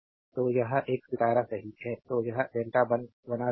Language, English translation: Hindi, So, it is a star right; so making it delta